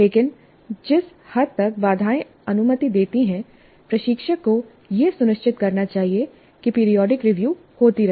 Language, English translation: Hindi, But the extent that the constraints permit instructor must ensure that periodic review happens